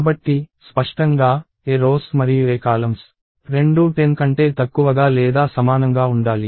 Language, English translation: Telugu, So, clearly, A rows and A columns should both be less than or equal to 10